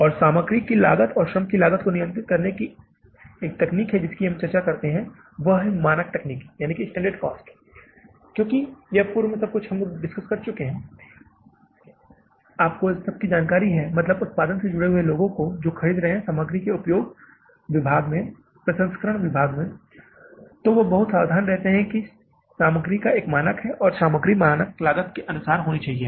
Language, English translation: Hindi, And controlling the material cost and the labour cost one technique we discuss here is that is the standard costing because if you have pre walked everything, it remains communicated to all and means people in the production, in the purchase, in the usage of the material departments, processing departments, they remain very careful that this is the standard of the material and this should be the standard cost of the material